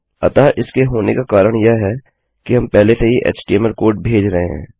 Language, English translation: Hindi, So the reason that this is happening is we are already sending our html code